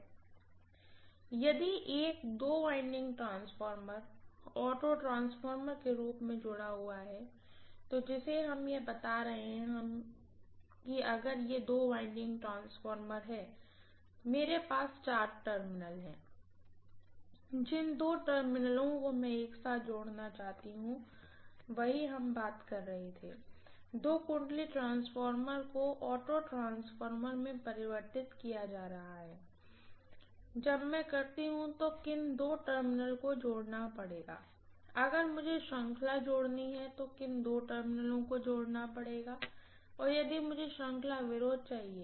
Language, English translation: Hindi, See in a two winding transformer being connected as an auto transformer we are telling this, so if it is a two winding transformer, I have four terminals, which two terminals I want to connect together, that is what we were talking about, two winding transformer being converted into auto transformer, when I do that, which two terminals I have to connect, if I want series addition, which two terminals I have to connect if I wants series opposition, this is what you are talking about, is that clear